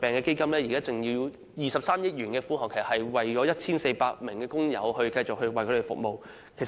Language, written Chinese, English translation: Cantonese, 基金現時有23億元的款項，可繼續為 1,400 名工友提供服務。, The Fund which now has a balance of 2.3 billion is financially sound to maintain its services for 1 400 workers